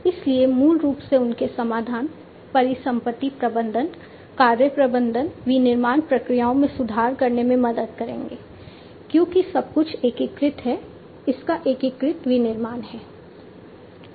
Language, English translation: Hindi, So, basically their solutions will help in improving, the asset management, work management, improving the manufacturing processes, because everything is integrated, its integrated manufacturing, and so on